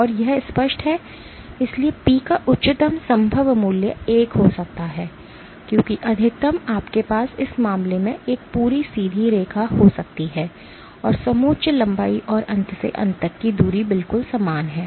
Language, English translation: Hindi, And this is obvious so the highest possible value of P can be 1, because maximum you can have is a complete straight line in this case the contour length and the end to end distance are exactly the same